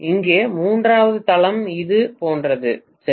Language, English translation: Tamil, And the third base here like this, right